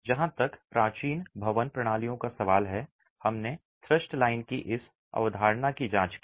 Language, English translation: Hindi, As far as ancient building systems are concerned, we examined this concept of the thrust line